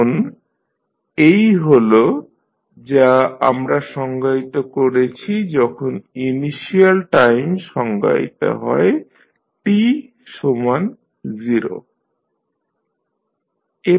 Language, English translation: Bengali, Now, this what we have defined when initial time is defined time t is equal to 0